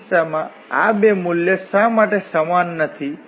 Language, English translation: Gujarati, Why these two value are not same in this case